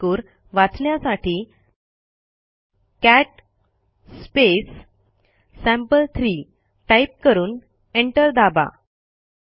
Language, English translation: Marathi, Let us see its content, for that we will type cat space sample3 and press enter